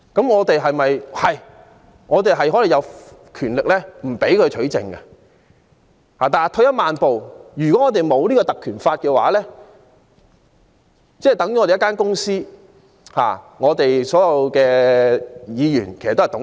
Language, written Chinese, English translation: Cantonese, 我們確實有權拒絕律政司取證，但退一萬步來說，如果沒有《條例》，我們便有如一間公司，而所有議員均是董事。, We surely have the right to refuse the DoJs request to obtain evidence . But without the Ordinance our Council may be likened to a company in which all Members are directors to say the very least